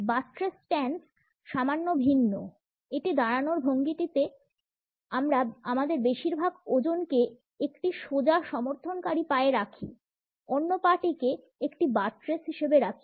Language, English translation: Bengali, The buttress stance is slightly different; in this stand we place most of our weight on a straight supporting leg, allowing the other leg to serve as a buttress